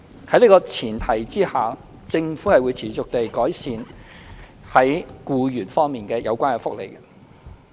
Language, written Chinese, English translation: Cantonese, 在這個前提之下，政府會持續地改善與僱員有關的福利。, On this premise the Government will continue to improve employees benefits